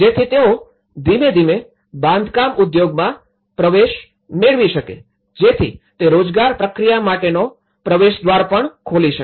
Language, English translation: Gujarati, So that, they can gradually get on into the construction industry so that it could also open a gateway for the employment process